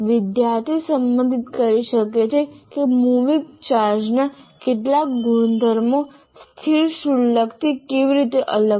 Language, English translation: Gujarati, So he can relate that how these some properties of moving charges differ from static charges